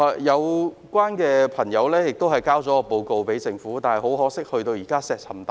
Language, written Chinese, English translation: Cantonese, 有關朋友已就這項遺蹟向政府提交報告，但很可惜，現在石沉大海。, A report on this relic has been submitted to the Government but unfortunately no response has been made